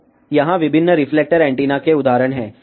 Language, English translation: Hindi, So, here are the examples of different reflector antenna